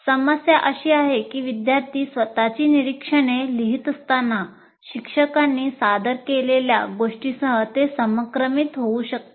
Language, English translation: Marathi, And the problem is, while you are writing your own observations, you may go out of sync with what is being presented by the teacher